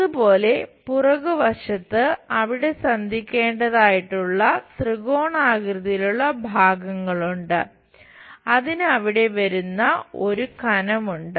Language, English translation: Malayalam, Similarly, on the back side we have that triangular portions supposed to meet there and that has a thickness which comes there